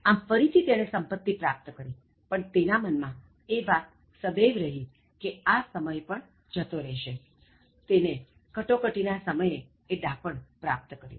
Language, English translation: Gujarati, So, he again gathered wealth, but he always kept that thing in mind that even this will pass away and he gained that wisdom at that crucial moment